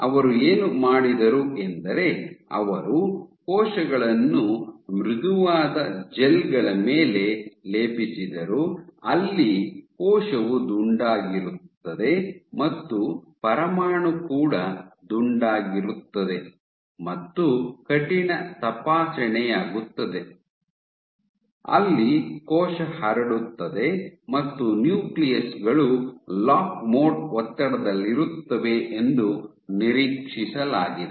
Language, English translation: Kannada, So, what they did they plated cells on soft gels, where nuclei where the cell is rounded and the nuclear is also rounded and on stiff checks, where the cell spreads and the nuclei is expected to be under lock mode stress ok